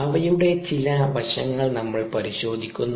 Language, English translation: Malayalam, we look at some aspects of that